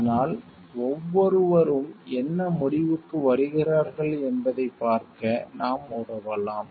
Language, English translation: Tamil, And so, and we can help us to see what conclusion one reaches